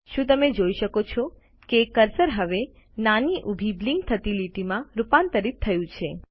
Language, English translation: Gujarati, Can you see the cursor has transformed into a small vertical blinking line